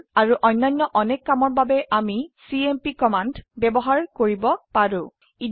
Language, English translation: Assamese, For these and many other purposes we can use the cmp command